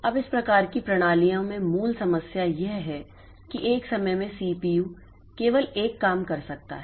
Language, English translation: Hindi, Now, this type of systems, the basic problem is that at one point of time CPU can do only one job